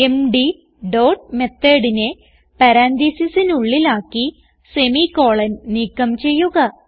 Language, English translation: Malayalam, So put md dot method inside the parentheses remove the semi colon